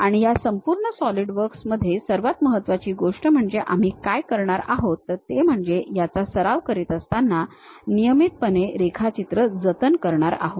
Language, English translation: Marathi, And the most important thing throughout this Solidworks practice what we are going to do you have to regularly save the drawing